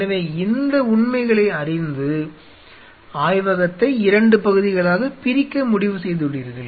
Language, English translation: Tamil, So, an knowing these facts So, you have decided that the lab is divided in 2 parts